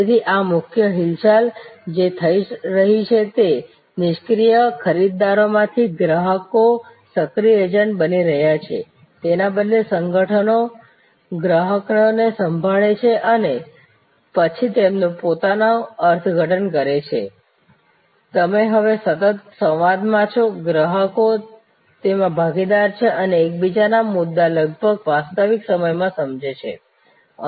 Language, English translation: Gujarati, So, main movements that are happening, that from passive buyers customers are becoming active agents, instead of organizations listening to customers and then doing their own interpretation, you are now in a constant dialogue, customers are partners and each other’s points are to be understood almost in real time